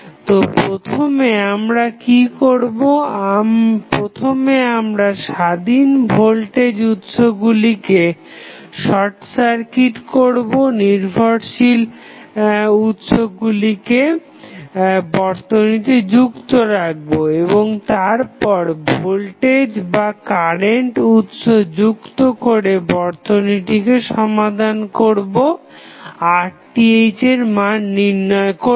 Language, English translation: Bengali, So, what we will do first, first we will short circuit the independent voltage source, leave the dependent source as it is in the circuit and then we connect the voltage or current source to solve the circuit to find the value of Rth